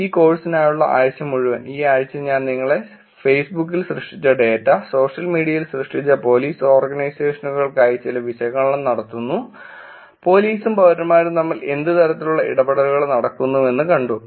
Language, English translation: Malayalam, For the entire week for this course, this week I kind of took you around the data that are created on Facebook, that are created on social media for Police Organizations doing some analysis, seeing what kind of interactions that are going on between police and citizens, why does it all matter